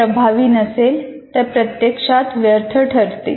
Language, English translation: Marathi, If it is not effective, it is practically useless